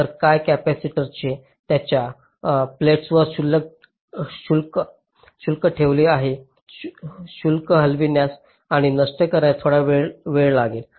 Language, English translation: Marathi, so ah, because the capacitor is holding a charge across its plates, it will take some time for the charge to move and dissipate so instantaneously